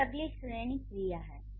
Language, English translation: Hindi, So, then there is the next category is verbs